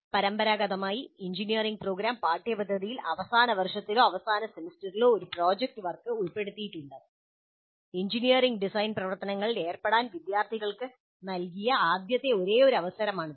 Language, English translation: Malayalam, Traditionally, engineering program curricula included a major project work in the final year or final semester and this was the first and only opportunity provided to the students to engage with engineering design activity